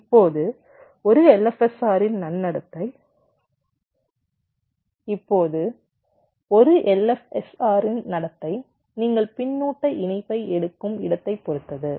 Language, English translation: Tamil, now the behavior of an l f s r will depend quite a lot on the points from where you are taking the feedback connection